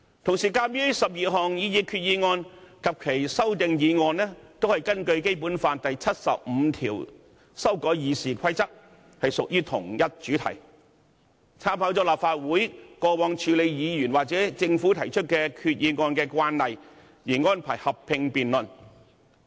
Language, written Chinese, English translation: Cantonese, 同時，鑒於12項擬議決議案及其修正案均是根據《基本法》第七十五條修改《議事規則》，屬同一主題，經參考立法會過往處理議員或政府提出決議案的慣例，安排進行合併辯論。, At the same time given that all of the 12 proposed resolutions and their amendments are moved on the same subject under Article 75 of the Basic Law to amend the Rules of Procedure arrangements have been made to debate them together in a joint debate according to the previous practice adopted by this Council to handle resolutions proposed by Members or the Government